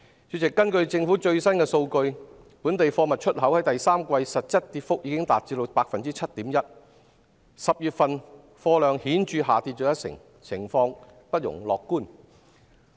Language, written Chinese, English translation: Cantonese, 主席，根據政府最新數據，本地貨物出口在第三季實質跌幅已達 7.1%，10 月份貨量顯著下跌一成，情況不容樂觀。, President according to the latest government data the export of local goods fell by 7.1 % in real terms in the third quarter . In October the volume of goods dropped significantly by 10 % . The situation is daunting